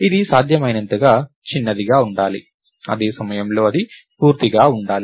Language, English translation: Telugu, It should be as small as possible, at the same time, it has to be complete